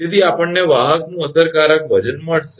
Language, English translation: Gujarati, So, effective weight of the conductor we got